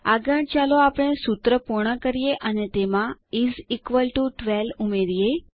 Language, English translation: Gujarati, Next let us complete the formula and add is equal to 12 to it